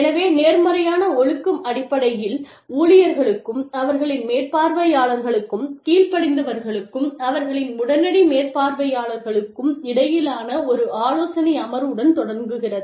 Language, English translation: Tamil, So, positive discipline essentially starts with, a counselling session between, employees and their supervisors, between subordinates and their immediate supervisors